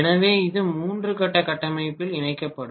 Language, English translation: Tamil, So this will be connected in three phase configuration